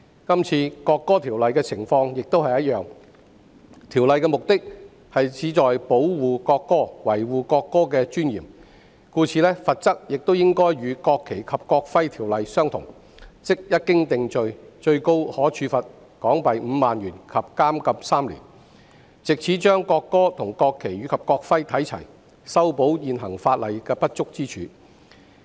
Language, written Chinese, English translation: Cantonese, 這次《條例草案》的情況相同，目的旨在保護國歌，維護國歌的尊嚴，故此，罰則亦應該與《國旗及國徽條例》相同，即一經定罪，最高可處罰款港幣5萬元及監禁3年，藉此將國歌與國旗及國徽看齊，修補現行法例的不足之處。, Similarly the Bill seeks to protect the national anthem and preserve its dignity . Therefore relevant penalty should be equivalent to that under the National Flag and National Emblem Ordinance and that is a fine of 50,000 and imprisonment for three years on conviction so as to treat the national anthem on par with the national flag and the national emblem and address the inadequacy of the existing legislation